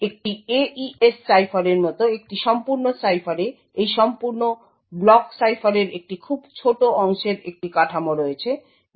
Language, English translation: Bengali, So, in a complete cipher such as an AES cipher a very small part of this entire block cipher is having a structure as we have seen before